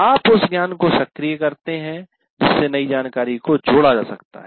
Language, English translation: Hindi, You activate that knowledge to which the new information can be linked